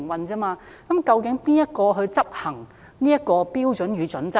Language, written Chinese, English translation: Cantonese, 究竟誰執行《規劃標準與準則》呢？, Who enforces the Planning Standards and Guidelines?